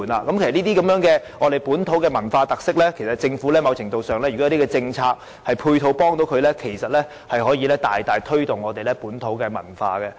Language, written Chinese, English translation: Cantonese, 就這些本土文化特色的體驗，政府如可透過政策和配套提供某程度的協助，便可大大推動本土文化。, Regarding the experience of these local cultural characteristics if the Government can offer assistance in some measure by means of policies and support arrangements it will greatly facilitate the promotion of local culture